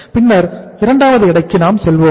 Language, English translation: Tamil, Then we go for the second weight